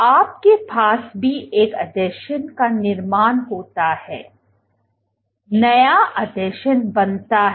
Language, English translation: Hindi, What you also have is formation of an adhesion here, new adhesion is formed